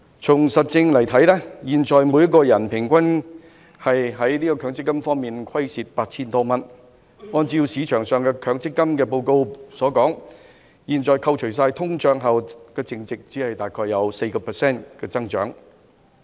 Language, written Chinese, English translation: Cantonese, 從事實看來，現時每人平均就強積金虧蝕 8,000 多元，市場上的強積金報告指出，現時強積金在扣除通脹後的淨值，只有大約 4% 的增長。, As shown by the facts each person suffers from an average loss of over 8,000 of their MPF at present . The MPF reports on the market pointed out that the current net value of MPF excluding inflation shows an increase of about 4 % only